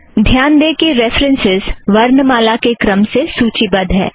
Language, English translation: Hindi, Note that these references are also listed alphabetically